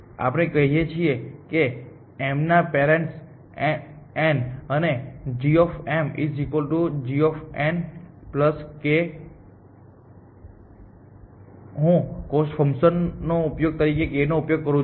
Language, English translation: Gujarati, Then we say parent m is n and g of m is equal g of n plus I will use k as a cost function